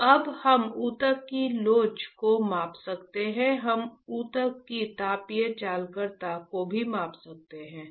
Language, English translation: Hindi, So, now, we are measuring the we can measure elasticity of the tissue we can also measure the thermal conductivity of the tissue, right